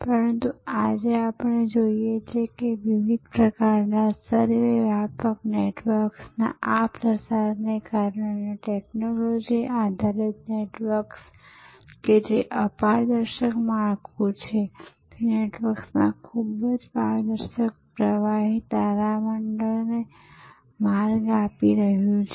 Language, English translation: Gujarati, But, what we see today that because of these proliferation of different types of ubiquitous networks, technology based networks that opaque’s structure is giving way to a very transparent fluid constellation of networks